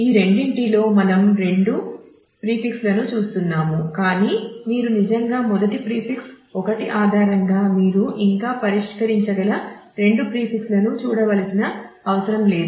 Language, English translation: Telugu, Out of these two which are we are looking at two prefixes, but you do not really right now need to look at both the prefixes you can still resolve just by based on the first prefix 1